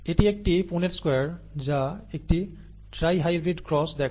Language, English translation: Bengali, This is a Punnett square it shows a tri hybrid cross